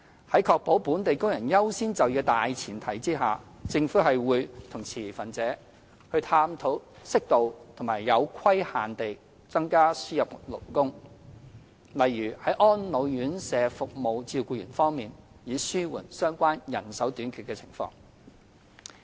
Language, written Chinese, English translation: Cantonese, 在確保本地工人優先就業的大前提下，政府會與持份者探討適度和有規限地增加輸入勞工，例如在安老院舍服務照顧員方面，以紓緩相關人手短缺的情況。, On the premise of according priority in employment to local workers the Government will explore with stakeholders the possibility of increasing imported labour such as carers for elderly care homes on an appropriate and limited scale to relieve the manpower shortage of individual sectors